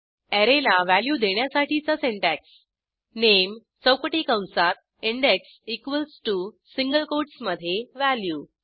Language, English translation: Marathi, The syntax to assign a value to an Array is Name within square brackets index equals to within single quotes value